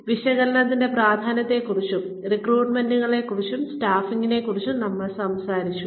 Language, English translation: Malayalam, We talked about, the importance of job analysis and we talked about, recruitments and staffing